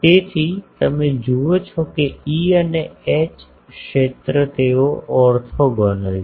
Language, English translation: Gujarati, So, you see that E and H field they are orthogonal